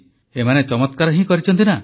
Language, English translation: Odia, They have achieved wonders, haven't they